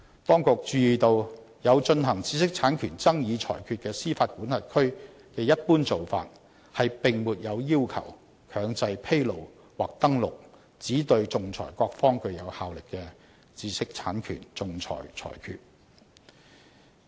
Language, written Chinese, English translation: Cantonese, 當局注意到有進行知識產權爭議裁決的司法管轄區的一般做法，並沒有要求強制披露或登錄只對仲裁各方具有效力的知識產權仲裁裁決。, It is noted that the general practice of those jurisdictions in which IPR disputes are arbitrated does not require the mandatory disclosure or recordal of IPR arbitral awards with inter partes effect